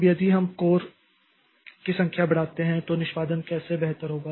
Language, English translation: Hindi, Now, if we increase the number of course, then how does this performance improve